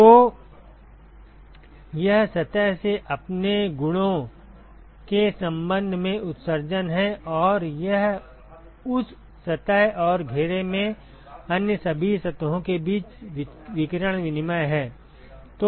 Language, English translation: Hindi, So, this is the emission from the surface with respect to its own properties and this is the radiation exchange between that surface and all the other surfaces in the enclosure ok